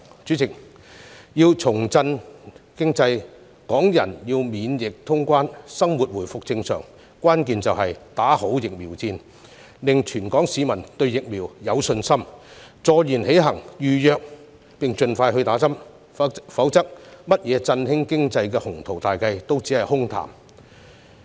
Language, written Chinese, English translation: Cantonese, 主席，要重振經濟，港人要免疫通關，生活回復正常，關鍵就是打好疫苗戰，令全港市民對疫苗有信心，坐言起行，預約並盡快接種疫苗，否則甚麼振興經濟的鴻圖大計也只是空談。, President the key to revitalize the economy allow Hong Kong people to enjoy quarantine - free traveller clearance and restore a normal life is to win the battle of vaccination so that everyone in Hong Kong will have confidence in the vaccines and act quickly to make reservations and receive vaccination early . Otherwise any ambitious plans to boost the economy are empty talks only